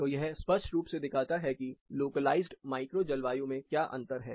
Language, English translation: Hindi, So, this clearly shows; what is the difference in the localized macro climate